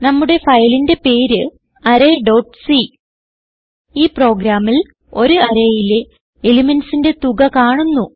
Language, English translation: Malayalam, Please,note that our file name is array.c In this program, we will calculate the sum of the elements stored in an array